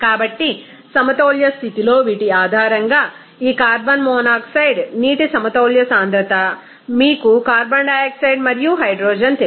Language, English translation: Telugu, So, based on these at equilibrium condition what should we that equilibrium concentration of these carbon monoxide water you know carbon dioxide and hydrogen that you have to find out